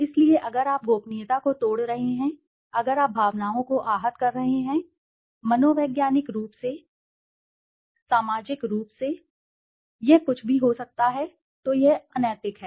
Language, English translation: Hindi, So if you are breaking the confidentiality, if you are hurting the emotions, psychologically, socially, it could be anything then it is unethical